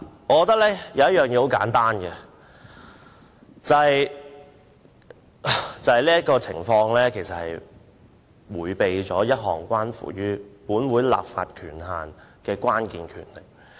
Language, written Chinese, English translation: Cantonese, 簡單而言，我覺得當局其實迴避了一項關乎本會立法權限的關鍵權力。, In simple terms I think that the authorities have actually evaded a crucial power of this Council in respect of its legislative authority